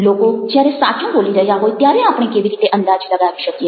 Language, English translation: Gujarati, how do we guess when people are telling the truth